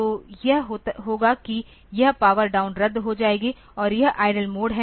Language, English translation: Hindi, So, it will be this power down will be cancelled and this is the idle mode